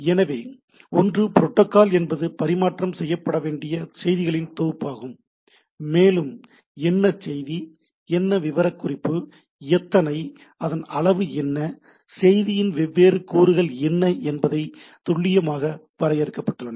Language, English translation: Tamil, So, the one is that protocol is a set of messages to be exchanged and there is a protocol specification that the what message, what is the specification, how many, what is the size, what are the different fields of the message those are precisely defined